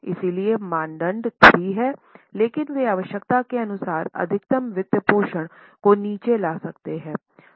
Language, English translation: Hindi, So, norm is 3, but they can bring down maximum financing as for the requirement